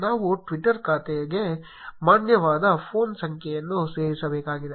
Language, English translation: Kannada, We need to add a valid phone number to a twitter account